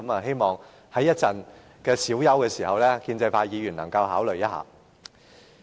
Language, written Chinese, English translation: Cantonese, 希望在稍後小休時，建制派議員能夠考慮一下。, I hope that the pro - establishment Members will consider our proposal during the break later on